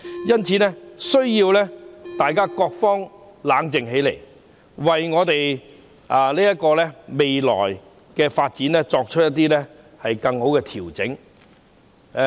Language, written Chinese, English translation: Cantonese, 因此，各方必須冷靜下來，為香港的未來發展作出更好的調整。, Therefore all parties must calm down and make better adjustments for Hong Kongs future development